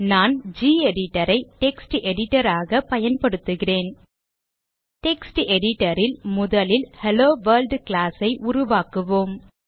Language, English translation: Tamil, I am using gedit as my Text Editor In the text editor , we will first create the class HelloWorld